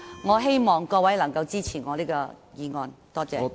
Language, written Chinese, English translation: Cantonese, 我希望各位能夠支持我的修正案，多謝。, I hope Members can support my amendment . Thank you